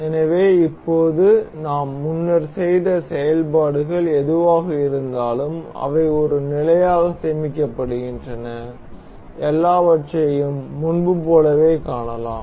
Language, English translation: Tamil, So, now, whatever the operations we have performed earlier they are saved as a state, and we can see the everything as before